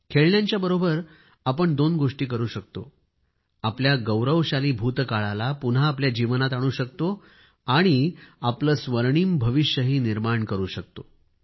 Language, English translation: Marathi, We can do two things through toys bring back the glorious past in our lives and also spruce up our golden future